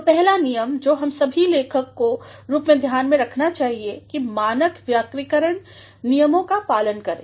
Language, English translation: Hindi, So, the first rule that all of us as writers should take into consideration is to follow standard grammatical rules